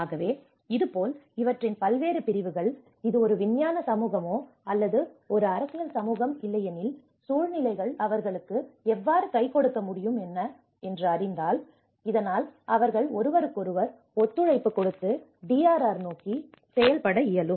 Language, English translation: Tamil, So, this is how these various segments of these whether it is a scientific community, is a political community, how they can come with a hands on situations so that they can cooperate with each other and work towards you know DRR